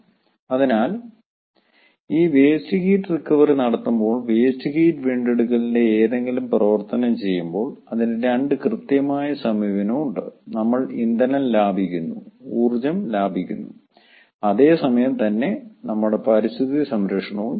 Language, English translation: Malayalam, so this is very important to understand that when we do this waste heat recovery, any activity of waste heat recovery, it has got a two prompt approach: we save fuel, we save energy and at the same time we save, safeguard our environment